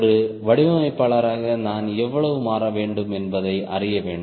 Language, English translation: Tamil, so as a designer i need to know how much it will change and keep